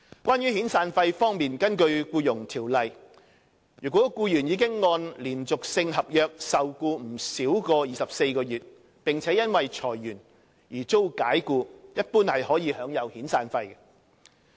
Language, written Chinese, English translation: Cantonese, 關於遣散費方面，根據《僱傭條例》，如僱員已按連續性合約受僱不少於24個月，並因裁員而遭解僱，一般可享有遣散費。, In respect of severance payment under the Employment Ordinance if an employee who has been employed under a continuous contract for not less than 24 months is dismissed by reason of redundancy he is in general entitled to severance payment